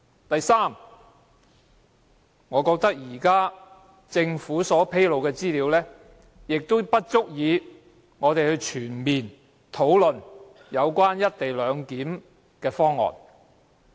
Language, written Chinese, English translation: Cantonese, 第三，我認為政府現時披露的資料並不足以讓我們全面討論"一地兩檢"方案。, Third I think the information disclosed by the Government is inadequate thus preventing us from conducting a comprehensive discussion on the co - location arrangement